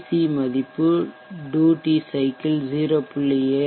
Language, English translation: Tamil, And at this value the duty cycle is 0